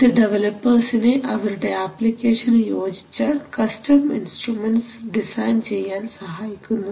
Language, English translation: Malayalam, So it enables developers to design custom instruments best suited to their application